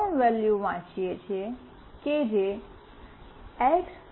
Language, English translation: Gujarati, We are reading the three values that is X